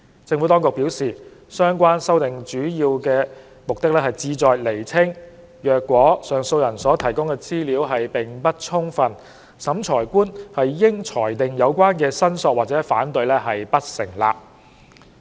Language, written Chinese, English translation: Cantonese, 政府當局表示，相關修訂主要目的旨在釐清，若上訴人所提供的資料並不充分，審裁官應裁定有關申索或反對不成立。, The Administration has advised that the relevant amendments serve mainly to clarify that the Revising Officer should determine that the objection or claim is unsubstantiated if the information provided by the appellant is insufficient